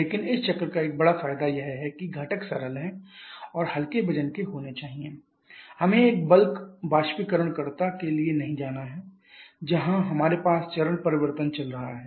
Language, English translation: Hindi, But one big advantage of this cycle is that the components are simple and must lie to it we do not have to go for a bulk evaporator where we have the phase change going on